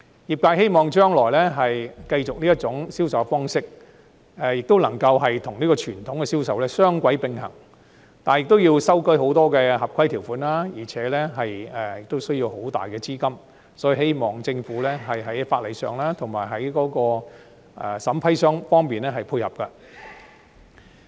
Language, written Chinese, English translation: Cantonese, 業界希望將來繼續採用這種銷售方式，亦能夠與傳統的銷售雙軌並行，但亦要修改很多合規條款，而且需要龐大資金，所以我希望政府可以在法例上及審批方面配合。, The industry wishes to continue with this sales approach in the future while being able to work in parallel with the traditional sales approach but this also entails amendment to many compliance conditions as well as huge capital . Therefore I urge the Government to offer support in terms of legislation as well as vetting and approval procedures